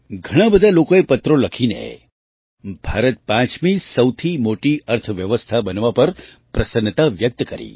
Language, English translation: Gujarati, Many people wrote letters expressing joy on India becoming the 5th largest economy